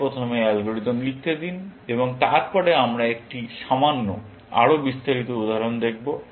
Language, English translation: Bengali, Let me write the algorithm first, and then, we will look at a slightly, more detailed example, essentially